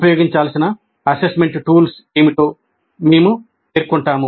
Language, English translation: Telugu, We state what will be the assessment tools to be used